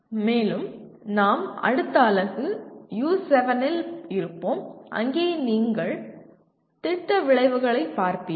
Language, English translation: Tamil, And the program, we will be in the next unit U7 you will be looking at the Program Outcomes